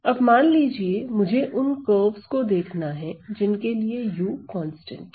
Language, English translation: Hindi, Now, suppose I were to see the curves for which u is constant u is constant